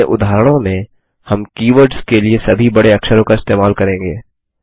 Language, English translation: Hindi, In our examples, we will use all upper cases for keywords